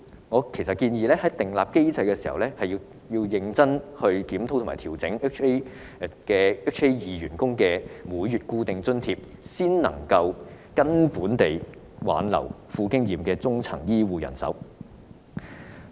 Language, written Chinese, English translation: Cantonese, 我建議訂立機制，調整1998年4月或以後入職的醫管局員工的每月固定津貼，才能挽留富經驗的中層醫護人手。, I propose to establish a mechanism for adjusting the monthly fixed allowance for employees who joined HA in or after April 1998 with a view to retaining the experienced middle - level health care staff